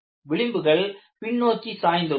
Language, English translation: Tamil, Fringes are tilted backwards